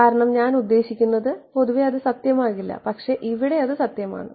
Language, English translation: Malayalam, Because, I mean in general that will not be true, but here it is true because